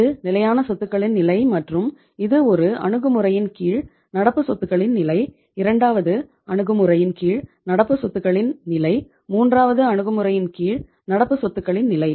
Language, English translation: Tamil, This is the level of fixed assets and this is the level of current assets under one approach, level of current assets under second approach, level of current assets under the third approach